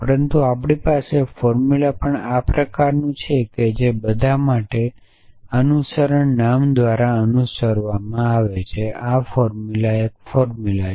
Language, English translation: Gujarati, But we also have formula is of this kind that for all followed by variable name followed by a formula is a formula